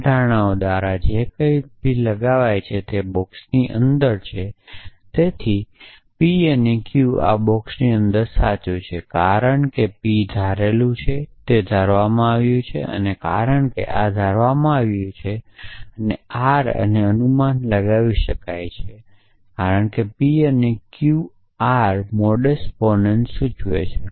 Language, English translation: Gujarati, So, anything that is entailed by these assumptions are inside the boxes, so p and q is true inside this box because p has been assume q has been assume and because this has been